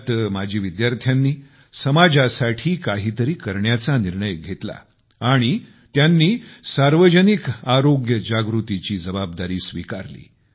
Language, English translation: Marathi, Under this, the former students resolved to do something for society and decided to shoulder responsibility in the area of Public Health Awareness